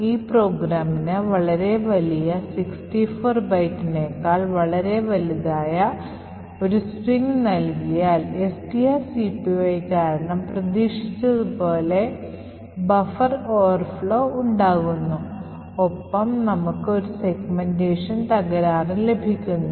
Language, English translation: Malayalam, On the other hand if we give the program a very large string like this, which is much larger than 64 bytes, then as expected buffer will overflow due to the long string copy which is done and we would get a segmentation fault